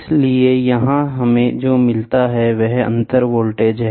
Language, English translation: Hindi, So, something like so here what we get is a differential voltage, ok